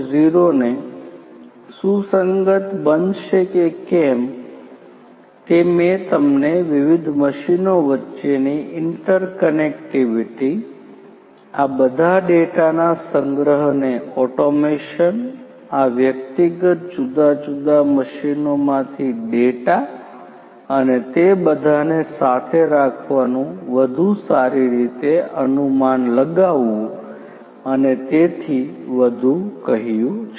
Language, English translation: Gujarati, 0 compliant all of these automation that I told you the interconnectivity between the different machines the automation the collection of all these data, data from these individual different machines and putting them all together to have better inferencing and so on